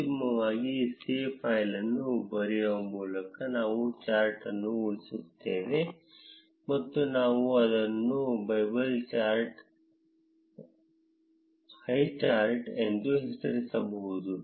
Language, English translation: Kannada, Finally, we would save the chart by writing save file and we can name it as bubble highchart